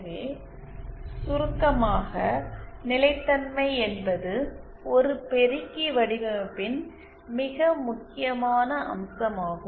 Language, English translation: Tamil, So in summary we that stability is a very important aspect of an amplifier design